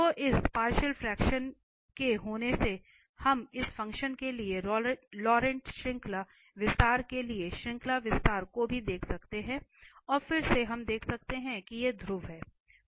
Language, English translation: Hindi, So, having this partial fraction, we can also observe looking at the series expansion for this the Laurent series expansion for this function and then again we can observe that these are the poles, so this is method 2 we are going to now have